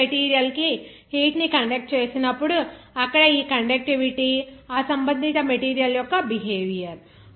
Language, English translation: Telugu, When heat is conducting to the solid material, there this conductivity, the behavior of that material is concerned